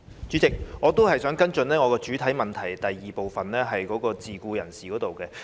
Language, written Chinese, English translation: Cantonese, 主席，我仍想跟進我的主體質詢第二部分有關自僱人士的申請。, President I would still like to follow up on part 2 of my main question concerning SEPs